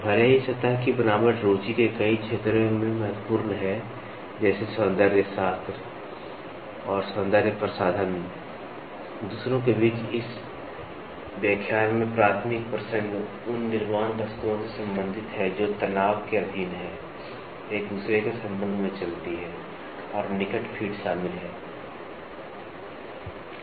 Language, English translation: Hindi, Even though, surface is important in many fields of interest such as aesthetic and cosmetic, amongst others, the primary concern in this particular lecture pertains to manufacturing items that are subjected to stress, move in relation to one another, and have a close fits of joining them